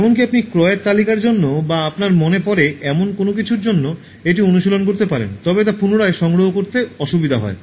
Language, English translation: Bengali, You can practice this even for purchase list or anything that you remember but find it difficult to recollect